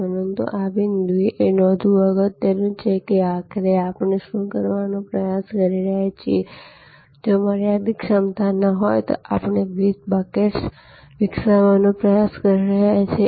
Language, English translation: Gujarati, But, at this point it is important to note that we have to, ultimately what we are trying to do is if there is a finite capacity, we are trying to develop different buckets